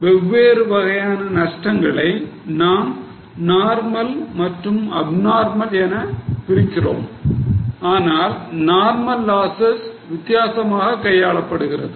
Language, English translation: Tamil, So, for different types of losses, we divide them into normal and abnormal and normal losses are treated differently